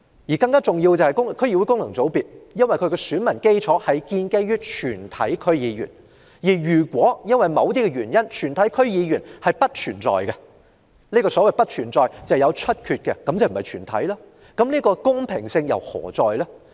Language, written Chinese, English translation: Cantonese, 再者，由於區議會功能界別的選民基礎是全體區議員，如果全體區議員因為有議席出缺而不存在，即不是"全體"，公平性何在？, What is more as the electorate of the District Council First FC is all DC members any vacancy in the membership of DC will render all DC members non - existent how can the election be fair?